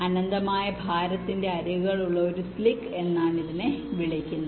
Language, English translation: Malayalam, this is called a s clique with edges of infinite weight